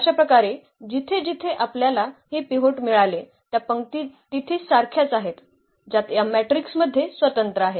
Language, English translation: Marathi, So, those rows where we got these pivots there are there are the same number of rows which are independent in this matrix